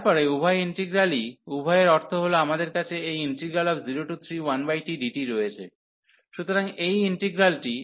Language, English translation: Bengali, Then both the integrals both means the one is we have this 0 to 3 here 1 over t dt, so this integral